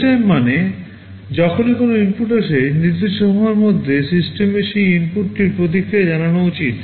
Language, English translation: Bengali, Real time means, whenever an input comes, within some specified time the system should respond to that input